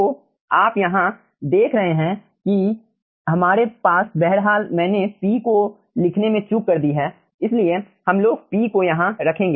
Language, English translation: Hindi, so you see, over here we are having, by the way, i have missed over here the p, so let us keep also p over here